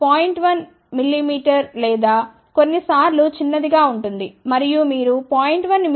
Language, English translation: Telugu, 1 mm or sometimes even smaller, and you know that if you want to realize a 0